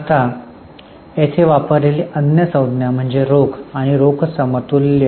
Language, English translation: Marathi, Now, other term here used is cash and cash equivalent